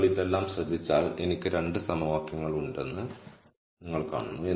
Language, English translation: Malayalam, So, if you notice all of this, you see that I have 2 equations